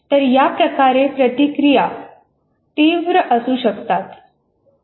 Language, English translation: Marathi, So the reactions can be fairly strong